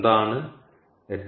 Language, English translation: Malayalam, what is hrsg